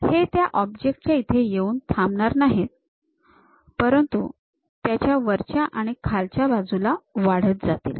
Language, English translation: Marathi, These are not just stopping on the object, but extend all the way on top side and bottom side